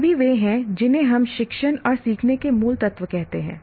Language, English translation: Hindi, All are what you call core elements of teaching and learning